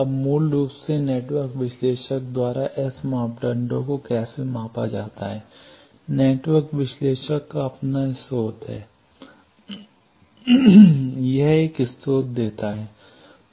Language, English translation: Hindi, Now, basically how S parameters are measured by network analyzer, network analyzer has its own source, it gives a source